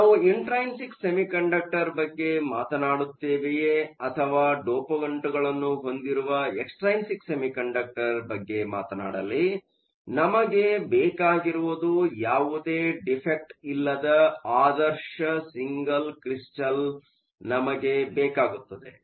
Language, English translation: Kannada, Whether we talk about an intrinsic semiconductor or whether we talk about an extrinsic semiconductor with dopants, we want an ideal single crystal with no defects